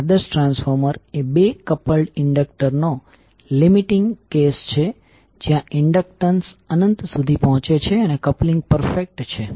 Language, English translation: Gujarati, That ideal transformer is the limiting case of two coupled inductors where the inductance is approach infinity and the coupling is perfect